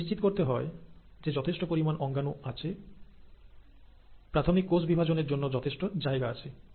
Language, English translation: Bengali, It has to make sure the organelles are sufficient, that there is a sufficient space and volume available for the parent cell to divide